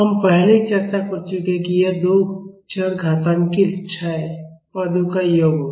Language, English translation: Hindi, We have already discussed that it will be the sum of two exponentially decaying terms